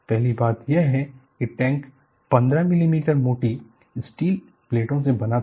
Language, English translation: Hindi, First thing is, the tank was made of 15 millimeter thick steel plates